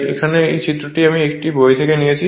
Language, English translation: Bengali, This diagram I have taken from a book right